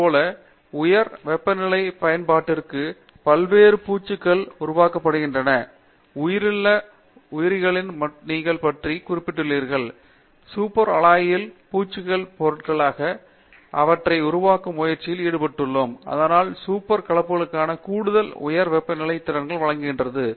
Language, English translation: Tamil, Similarly, various coatings for high temperature applications people are developing, you just mentioned about high entropy alive, people are trying to develop them as coating materials on super alloys, so that it gives additional high temperature capabilities for super alloys